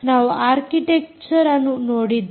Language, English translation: Kannada, we look at the architecture